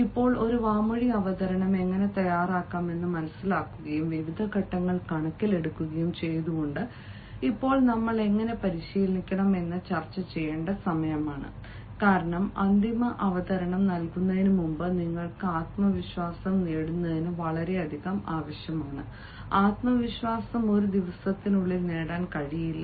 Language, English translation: Malayalam, now, having understood how to draft an oral presentation and keeping into consideration the various components, now is the time that we discuss how to practice, and because, before you give the final presentation, much is required that you gain confidence, and confidence cannot be gained just in one day